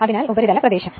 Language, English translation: Malayalam, So, surface area right